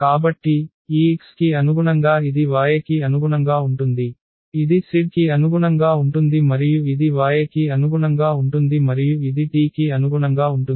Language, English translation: Telugu, So, corresponding to this x this is corresponding to y this is corresponding to z and this is corresponding to y and this is corresponding to t